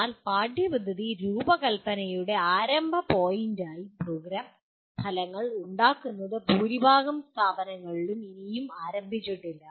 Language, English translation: Malayalam, But making Program Outcomes as a starting point for curriculum design is yet to start in majority of the institutions